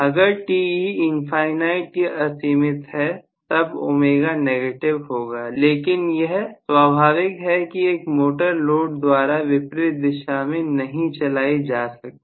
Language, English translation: Hindi, If Te is infinity, I am going to have omega to be negative but obviously a motor cannot be driven in the opposite direction just by a load